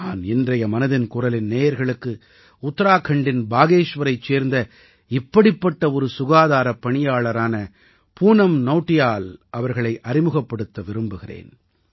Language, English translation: Tamil, Today in Mann ki Baat, I want to introduce to the listeners, one such healthcare worker, Poonam Nautiyal ji from Bageshwar in Uttarakhand